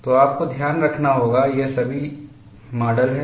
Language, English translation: Hindi, So, you will have to keep in mind these are all models